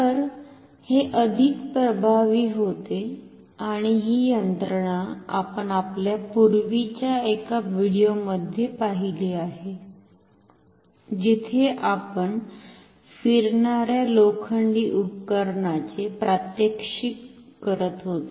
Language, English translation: Marathi, So, this becomes more effective and this mechanism we have seen in one of our earlier videos where we were demonstrating a real moving iron instrument